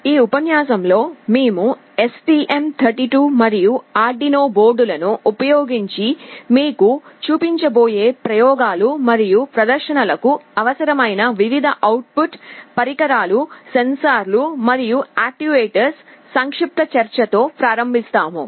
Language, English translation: Telugu, In this lecture, we shall be starting with a brief discussion on the various output devices, sensors and actuators, which will be required for the experiments and demonstrations that we shall be showing you using the STM32 and Arduino boards